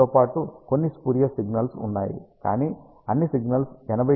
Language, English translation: Telugu, Along with you have some spurious signals, but all all the signals are well below 80 d B